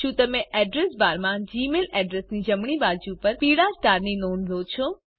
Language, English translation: Gujarati, Did you notice the yellow star on the right of the gmail address in the Address bar